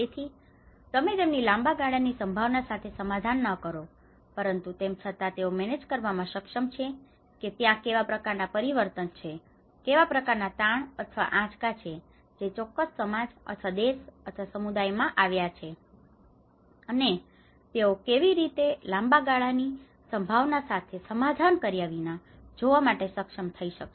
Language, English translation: Gujarati, So you do not compromise their long term prospect, but still they are able to manage you know what kind of change, what kind of stress or a shock which has come to that particular society or a country or a community and how they could able to look at that without compromising their long term prospects